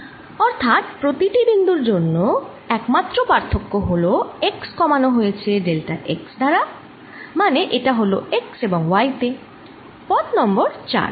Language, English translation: Bengali, so for each point here, the only difference is that x is reduced by delta x, so it's at x and y path four